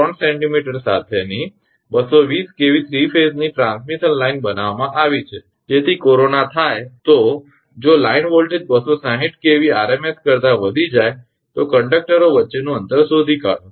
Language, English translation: Gujarati, A 220 kV 3 phase transmission line with conductor radius 1 point 3 centimetre is built so that corona takes place if the line voltage exceed 260 kV rms find the spacing between the conductors